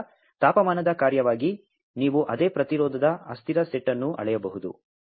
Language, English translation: Kannada, So, as a function of temperature, you can measure the same set of resistance transient